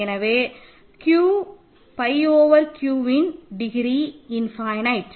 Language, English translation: Tamil, So, the degree of Q pi over Q is infinite